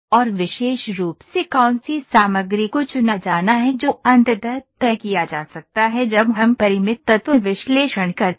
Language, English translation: Hindi, And specifically which material to be chosen that can be finally decided when we do Finite Element Analysis